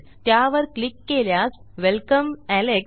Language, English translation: Marathi, Click here and Welcome, alex.